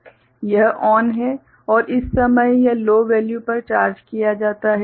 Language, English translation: Hindi, This is ON and at that time this is charged to a low value